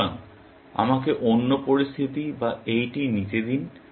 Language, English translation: Bengali, So, let me take another situation, or this one